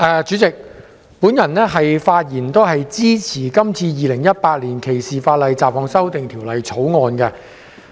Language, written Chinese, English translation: Cantonese, 主席，我發言支持《2018年歧視法例條例草案》。, President I speak in support of the Discrimination Legislation Bill 2018 the Bill